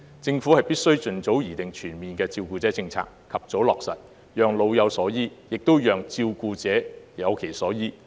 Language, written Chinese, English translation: Cantonese, 政府必須盡早擬定全面的照顧者政策，及早落實，讓老有所依，也讓照顧者有其所依。, The Government must formulate a comprehensive carer policy and implement the policy as soon as possible so that elderly persons and their carers can receive timely support